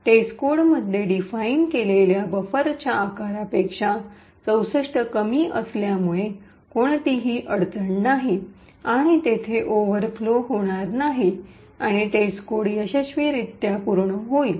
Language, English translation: Marathi, Since 64 is less than the size of the buffer defined in test code so there is no problem and there is no overflow that occurs, and test code completes successfully